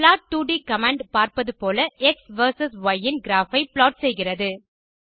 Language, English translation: Tamil, plot2d command plots a graph of x verses y as you see